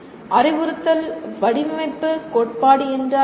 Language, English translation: Tamil, And what is instructional design theory